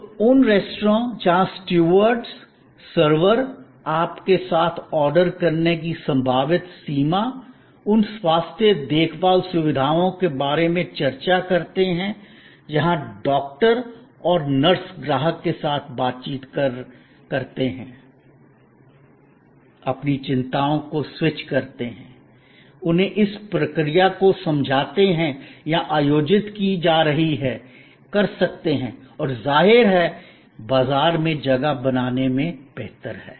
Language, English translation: Hindi, So, those restaurants, where the stewards, the servers discuss with you about your possible range of ordering, those health care facilities, where the doctors and nurses interact with the customer as switch their anxieties, explain to them the procedure that are being conducted, can; obviously, succeed better in the market place